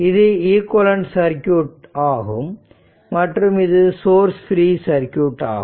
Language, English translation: Tamil, Therefore, equal equivalence circuit will be this capacitor it is a source free circuit